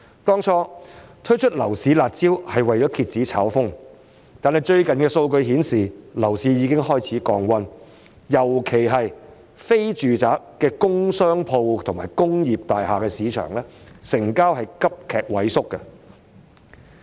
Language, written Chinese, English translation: Cantonese, 當初推出樓市"辣招"是為了遏止炒風，但最近的數據顯示，樓市已經開始降溫，尤其是非住宅的工商鋪和工業大廈的市場成交急劇萎縮。, The harsh measures on the property market were launched originally to suppress property speculation . However recent statistics show that the property market is cooling down . Transactions of non - residential properties for commercial or industrial purpose or flats in industrial buildings in particular are dwindling rapidly